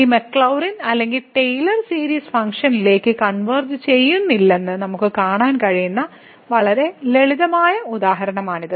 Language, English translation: Malayalam, So, it is very simple example where we can see that these Maclaurin or Taylor series they do not converge to the function